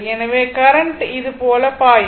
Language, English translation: Tamil, So, current will flow like this